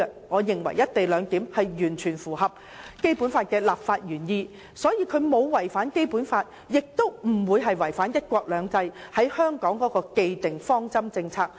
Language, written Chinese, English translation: Cantonese, 我認為"一地兩檢"完全符合《基本法》的立法原意，既沒有違反《基本法》，亦沒有違反對香港關乎"一國兩制"的既定方針政策。, I think the co - location arrangement fully accords with the legislative intent of the Basic Law without contravening the Basic Law and the established policies relating to one country two systems regarding Hong Kong